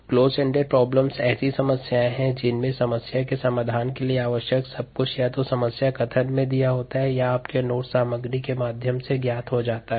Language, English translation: Hindi, closed ended problems are problems in which everything that is needed for the solution of the problem is either given in the problem statement or is known through material in your notes and so on, so forth